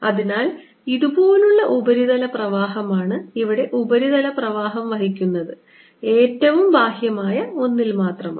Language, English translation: Malayalam, so surface current like this, this only the outer one that carries the surface current